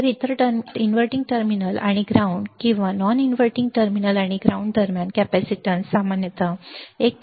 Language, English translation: Marathi, So, the capacitance between the inverting terminal and the ground or non inverting terminal and ground, typically has a value equal to 1